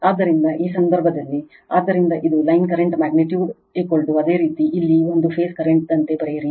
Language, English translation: Kannada, So, in this case, so it is line current magnitude is equal to your write as a phase current here